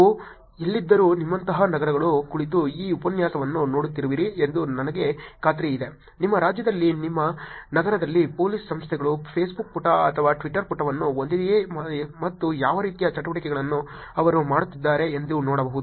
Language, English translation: Kannada, Wherever you are from meaning I am sure the cities like you are sitting in and looking at these lectures you could probably look at whether the Police Organizations in your state, in your city has a Facebook page or a Twitter page and see what kind of activities that they are doing